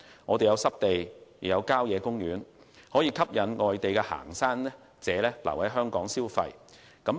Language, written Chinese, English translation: Cantonese, 我們設有濕地及郊野公園，可吸引外地行山者留港消費。, We have wetland and country parks which attract foreign hikers to stay and spend in Hong Kong